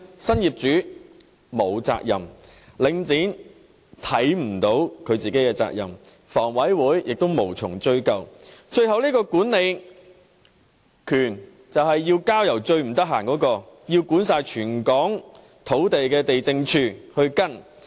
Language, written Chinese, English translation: Cantonese, 新業主沒有責任，領展看不到它自己的責任，而房委會亦無從追究，最後這個管理權問題便要交由最忙碌，須管理全港土地的地政總署跟進。, The new owners do not have any responsibility; Link REIT does not think it has to assume any responsibility and HA is not in a position to pursue this matter . In the end this issue of management had to be referred to the Lands Department the busiest department responsible for managing all land in Hong Kong for follow - up action